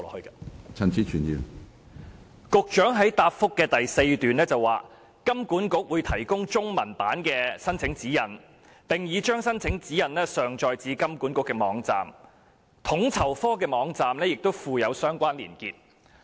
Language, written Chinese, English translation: Cantonese, 局長在主體答覆的第四段表示，"金管局會提供中文版的申請指引......並已將申請指引上載至金管局的網站......統籌科的網站亦已附有相關連結"。, The Secretary states in the fourth paragraph of the main reply that HKMA will provide the application guidelines in Chinese which has now been uploaded to HKMAs website for easy reference; and a link to the guidelines has also been provided on FSOs website